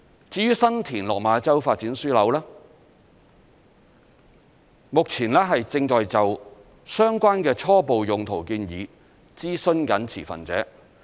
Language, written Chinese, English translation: Cantonese, 至於新田/落馬洲發展樞紐，目前正就相關的初步用途建議諮詢持份者。, With regards to the San TinLok Ma Chau Development Node we have started consulting stakeholders on its initial use